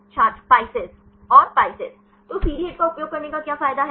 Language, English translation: Hindi, PISCES And the PISCES; so, what is the advantage of using CD HIT